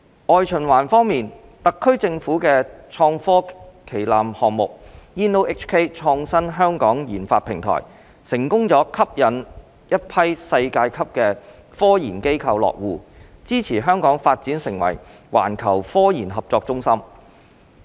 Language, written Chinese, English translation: Cantonese, 外循環方面，特區政府的創科旗艦項目 "InnoHK 創新香港研發平台"成功吸引了一批世界級的科研機構落戶，支持香港發展成為環球科研合作中心。, On external circulation the InnoHK research clusters which are the SAR Governments flagship IT projects have successfully attracted a number of world - class scientific research institutions to establish their presence in Hong Kong thereby supporting Hong Kongs development into a hub for global RD collaboration